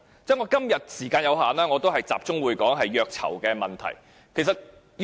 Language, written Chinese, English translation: Cantonese, 由於我今天時間有限，我會集中就虐囚問題發言。, Due to time constraints I will focus on torture of prisoners